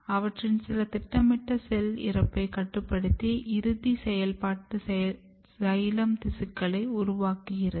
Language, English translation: Tamil, And then eventually some of them are regulating the final process of programmed cell death to generate a final functional xylem tissues